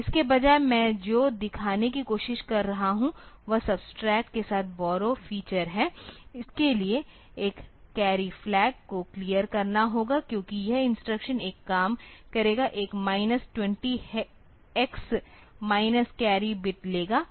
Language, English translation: Hindi, So, instead of that what I am trying to show, is the usage of the subtract with the borrow feature, for that a carry flag has to be cleared, because this instruction will do a, will get a minus 20 X minus the carry bit